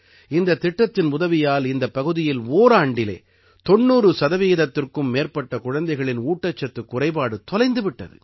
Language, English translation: Tamil, With the help of this project, in this region, in one year, malnutrition has been eradicated in more than 90 percent children